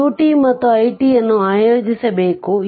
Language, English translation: Kannada, You have to plot q t and i t